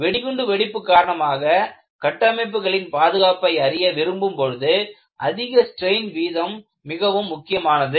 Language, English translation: Tamil, High strain rate is becoming very important, when people want to find out safety of structures due to bomb blast